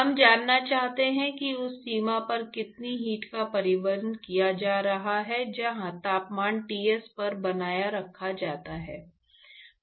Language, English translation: Hindi, We want to know how much heat is being transported at the at the you know the boundary where the temperature is maintained at Ts